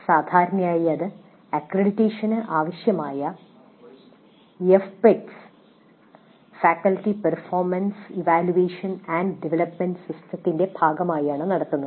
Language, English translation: Malayalam, Usually this is conducted as a part of F PATS faculty performance evaluation and development system that is required by the accreditation